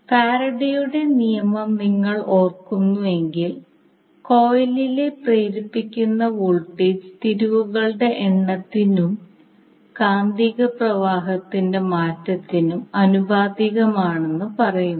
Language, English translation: Malayalam, Now how the voltage will be induced because if you remember the Faraday’s law it says that the voltage induced in the coil is proportional to the number of turns and the rate of change of magnetic flux